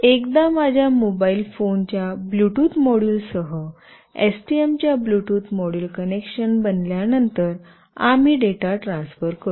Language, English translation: Marathi, So, once the connection is built with the Bluetooth module of STM along with the Bluetooth module of my mobile phone, we will transfer the data